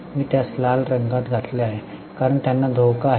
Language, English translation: Marathi, I have put it in the red because they are at a risk